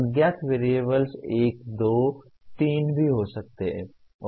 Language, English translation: Hindi, Unknown variables may be one, two, three also